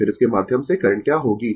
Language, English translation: Hindi, Then, what will be the current through this